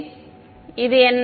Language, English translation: Tamil, So, what is del